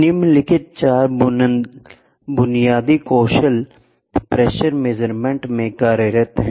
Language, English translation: Hindi, The following four basic skills are employed in pressure measurement